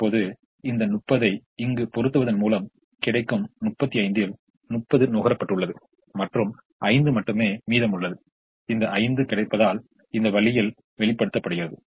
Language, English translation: Tamil, now, by putting this thirty here, thirty out of the thirty five available has been consumed and only five is remaining, and that is shown this way, with five being available